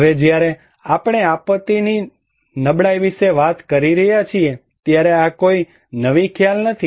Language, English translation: Gujarati, Now when we are talking about disaster vulnerability, this is nothing a new concept